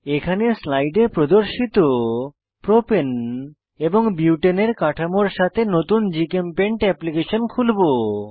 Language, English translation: Bengali, I have opened a new GChemPaint application with Propane and Butane structures as shown in the slide